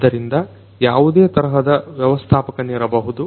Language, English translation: Kannada, So, it could be any type of manager